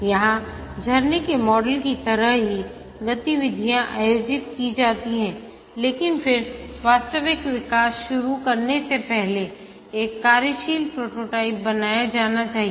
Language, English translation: Hindi, Here, just like the waterfall model, the activities are organized but then before starting the actual development, a working prototype must be built